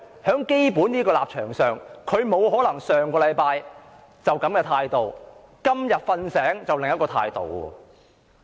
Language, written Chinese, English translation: Cantonese, 就基本立場而言，她不可能上星期持一種態度，今天"睡醒"卻持另一種態度。, This is about her basic stance . How could she take one attitude last week and adopt another attitude today after she woke up?